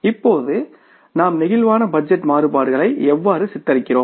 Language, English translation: Tamil, Now, how we depict the flexible budget variances